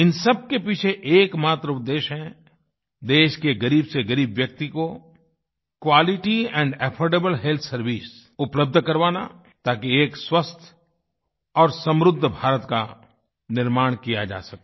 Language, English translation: Hindi, The sole aim behind this step is ensuring availability of Quality & affordable health service to the poorest of the poor, so that a healthy & prosperous India comes into being